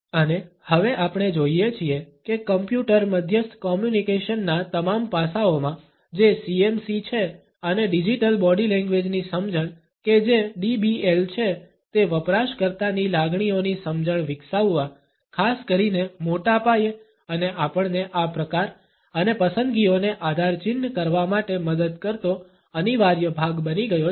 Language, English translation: Gujarati, And, now we find that in all aspects of Computer Mediated Communication that is CMC and understanding of Digital Body Language that is DBL has become an indispensable part for developing an insight into the user sentiments, particularly at a massive scale and also to help us in benchmarking these tastes and preferences